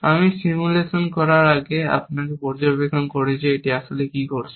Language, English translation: Bengali, Before I do the simulation, let us make an observation as to what this is really, doing